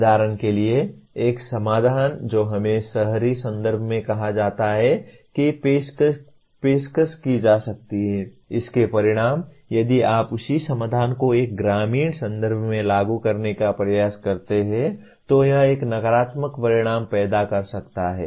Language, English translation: Hindi, For example a solution that is offered let us say in an urban context may not be, the consequences of that if you try to apply the same solution in a rural context it may create a negative consequences